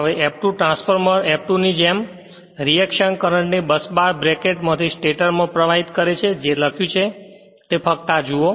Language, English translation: Gujarati, Now, F2 causes like your transformer F2 causes reaction currents to flow into the stator from the busbar bracket whatever written just just look into this